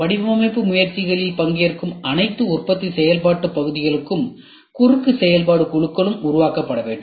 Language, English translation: Tamil, All manufacturing functional areas participating in the design efforts, and cross functional teams must be formed